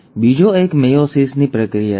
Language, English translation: Gujarati, And the other one is the process of meiosis